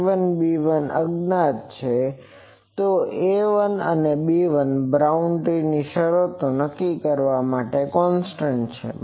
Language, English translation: Gujarati, So, A1, B1 are unknowns so, A 1 and B1 are constants to be determined form boundary conditions